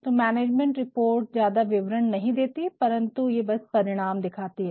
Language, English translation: Hindi, So, management report does not interpret too much, but then it simply showsthe results